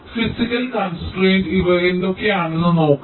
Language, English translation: Malayalam, so the physical constraint, let see what these are